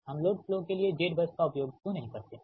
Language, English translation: Hindi, do we make admittance for the why we don't use z bus for load flows